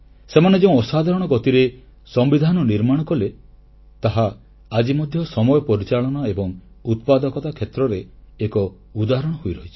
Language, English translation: Odia, The extraordinary pace at which they drafted the Constitution is an example of Time Management and productivity to emulate even today